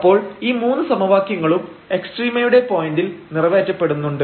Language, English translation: Malayalam, So, we have these 3 equations which has to be satisfied at the point of extrema there